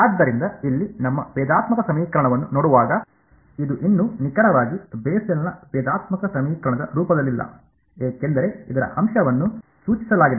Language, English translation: Kannada, So, looking at our differential equation over here, this is not yet exactly in the form of the Bessel’s differential equation because as was pointed out the factor of